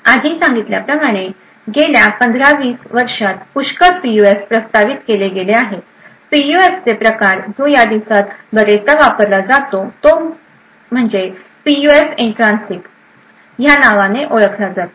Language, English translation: Marathi, As mentioned before So, there are lots of PUFs which have been proposed in the last 15 to 20 years, types of PUFs which are actually been used quite often these days something known as Intrinsic PUFs